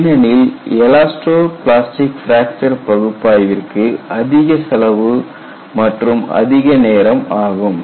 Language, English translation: Tamil, Because the elasto plastic fracture analysis are costly and time consuming not many people get involved into that